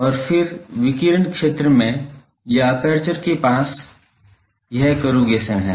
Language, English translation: Hindi, And, then in the radiating zone or near the aperture there is this corrugation